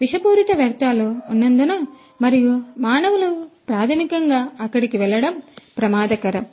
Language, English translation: Telugu, Maybe because there are toxic wastes and it is dangerous for the human beings to basically go over there